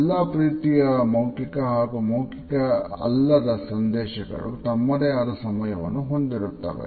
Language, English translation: Kannada, All types of verbal messages as well as nonverbal messages have their own temporalities